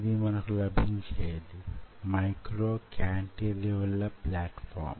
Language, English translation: Telugu, so this is what we get, ah, micro cantilever plat form